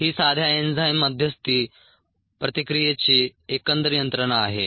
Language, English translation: Marathi, this is the overall mechanism of simple enzyme mediated reaction